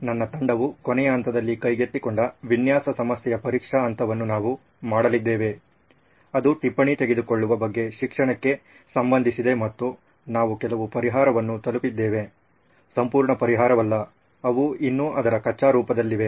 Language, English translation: Kannada, We are going to do the testing phase of the design problem that my team took up in the last phase, which was related to education about note taking and we arrived at a solution some, not solution in its entirety, they still in its raw form